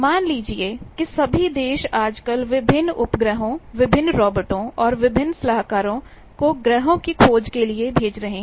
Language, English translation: Hindi, Suppose all the countries are nowadays sending the planetary explorating various satellites, various robots, various orbitors